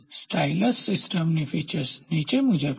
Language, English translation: Gujarati, The following are the features of the stylus system